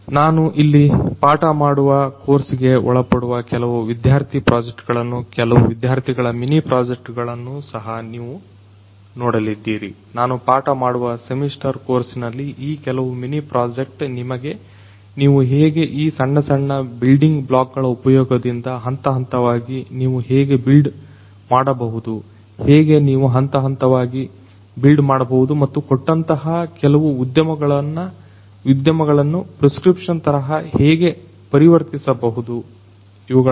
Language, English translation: Kannada, You are also going to look at some of the student projects some of the students mini projects that they have done in the course that I teach over here, the semester course that I have that I teach over there some of these mini project can give you some idea about how you can gradually build up through the use of these small small building blocks how you can gradually build up and transform some given industry as a prescription how you can transform them towards industry 4